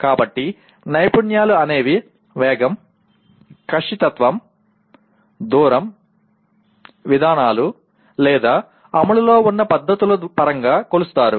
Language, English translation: Telugu, So the skills are measured in terms of speed, precision, distance, procedures, or techniques in execution